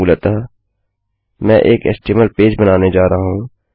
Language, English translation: Hindi, Basically,Im going to create an HTML page